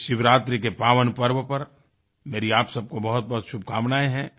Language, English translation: Hindi, I extend felicitations on this pious occasion of Mahashivratri to you all